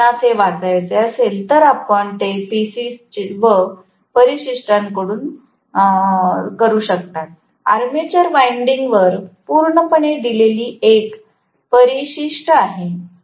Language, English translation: Marathi, If you guys want to read it, you can do it from PCs and appendix, there is one appendix given completely on the armature winding